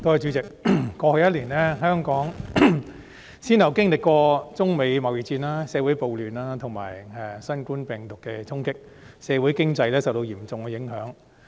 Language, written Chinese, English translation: Cantonese, 主席，過去一年，香港先後經歷中美貿易戰、社會暴亂和新冠病毒的衝擊，社會經濟受到嚴重的影響。, President over the past year Hong Kong has come under the impact of the trade war between China and the United States social turmoil and the novel coronavirus one after another and our society and economy have been seriously affected